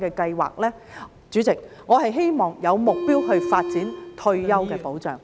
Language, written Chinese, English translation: Cantonese, 代理主席，我希望有目標地發展退休的保障。, Deputy President I hope that there can be a goal towards which retirement protection will develop